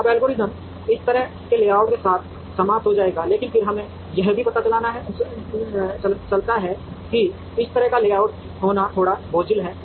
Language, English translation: Hindi, Now, the algorithm would terminate with this kind of a layout, but then we also realize that having this kind of a layout is a little cumbersome